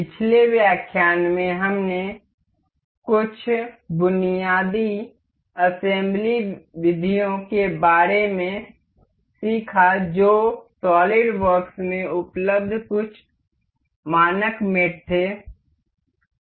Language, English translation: Hindi, In the last lecture, we learned about some basic assembly methods that were some standard mates available in solid works